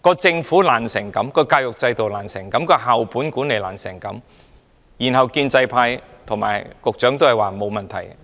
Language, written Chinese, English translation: Cantonese, 政府這麼不濟，教育制度這麼不濟，校本管理這麼不濟，建制派和局長卻都表示沒有問題。, With such a lousy Government such a lousy education system and such lousy school - based management the pro - establishment camp and the Secretary all say there is no problem